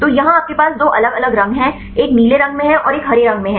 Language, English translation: Hindi, So, here you have two different colors, one is in blue and one is in green